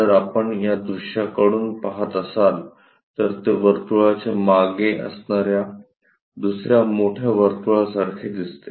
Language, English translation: Marathi, If we are looking from this view, it looks like a circle followed by another big circle